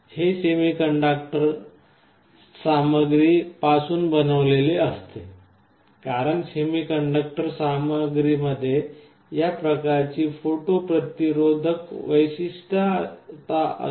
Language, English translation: Marathi, Internally it is made out of some semiconductor material, because semiconductor materials have this kind of photo resistive property